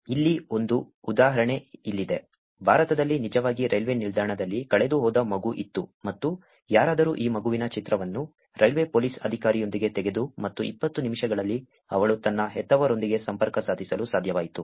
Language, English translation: Kannada, Here is an example, where in India there was a kid who is actually lost in a railway station and somebody took a picture of this kid with railway the police officer and in 20 minutes she was actually able to connect with her parents